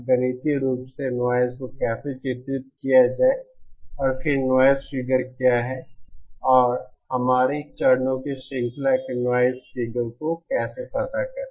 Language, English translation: Hindi, How to characterise noise mathematically and then what is noise figure and how to find out the noise figure of a chain of our stages